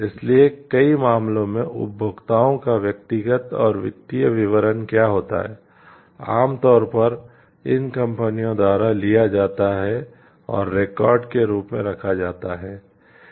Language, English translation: Hindi, So, in many cases what happens the details the personal and the financial details of consumers are usually taken by these companies and maintained as records